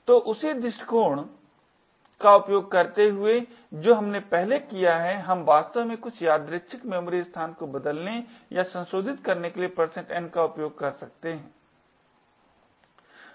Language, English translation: Hindi, So, using the same approach that we have done previously we can use % n to actually change or modify some arbitrary memory location